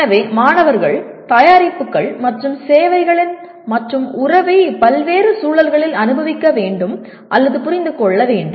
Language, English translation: Tamil, So, the students need to experience or understand the relationship of products and services to people, society in a variety of contexts